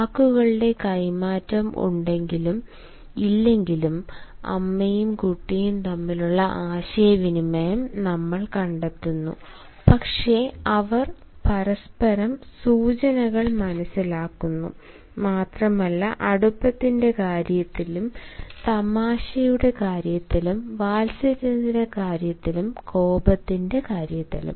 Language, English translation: Malayalam, you have found that, while the space between the mother and the child is very less, we find the communication between the mother and the child, whether there is an exchange of words or not, but they understand each others cues, and that also in terms of intimacy, in terms of cuddling, in terms of anger, in terms of affection